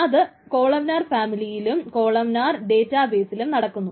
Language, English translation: Malayalam, The first one is the columnar database family